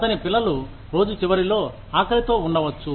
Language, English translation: Telugu, His children may go hungry, at the end of the day